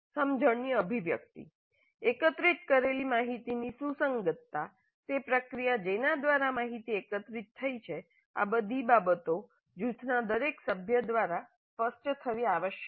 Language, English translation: Gujarati, The articulation of the understanding, the relevance of the information gathered, the process by which information gathered, all these things must be articulated by every member of the group